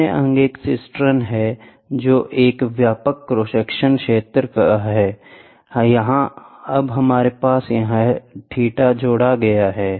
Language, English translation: Hindi, The other limb is a cistern, which is a wider cross section area, we now have this theta term is added to it